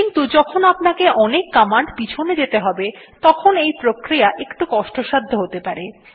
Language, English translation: Bengali, But when you have to scroll through many commands this becomes a little clumsy and tedious